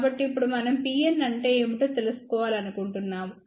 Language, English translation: Telugu, So, now we want to find out what is P n out